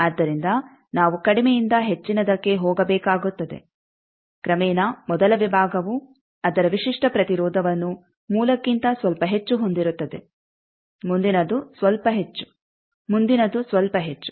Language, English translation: Kannada, So, will have to go form lower to higher, gradually the first section will be its characteristic impedance is a bit higher than the source the next one slightly higher, the next one slightly higher